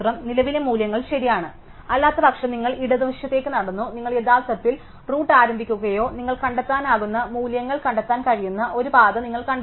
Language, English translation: Malayalam, So, the current value is v return true; otherwise, you walked on to the left are you actually start to the root and you kind of trace a path you can values are that find